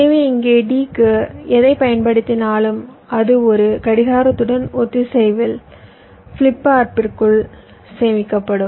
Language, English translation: Tamil, so here, whatever i apply to d, that will get stored inside the flip flop in synchronism with a clock